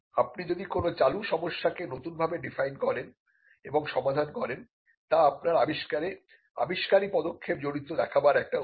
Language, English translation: Bengali, If you redefine an existing problem and solve it; that is yet another yet another way to show that your invention involves an inventive step